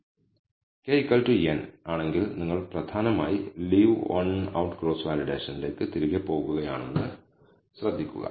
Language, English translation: Malayalam, Notice that if k equals n, you are essentially going back to Leave One Out Cross Validation